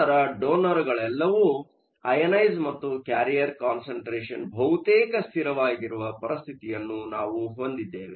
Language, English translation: Kannada, Then we have a situation where the donors were all ionized and a carrier concentration is almost a constant